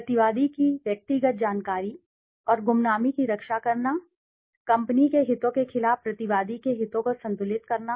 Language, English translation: Hindi, Protecting the personal information and anonymity of the respondent, balance the interests of the respondent against the interests of the company